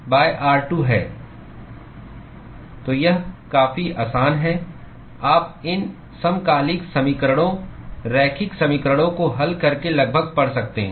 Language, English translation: Hindi, So, it is quite easy, you can almost read out by solving these simultaneous equations linear equations